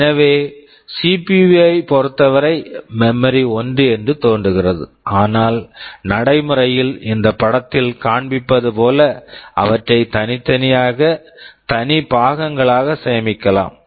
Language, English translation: Tamil, So, with respect to CPU it appears that the memory is the same, but in practice we may store them separately in separate parts as this diagram shows